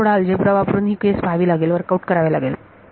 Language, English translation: Marathi, So, you would work you have to work out the algebra little bit to see that to be the case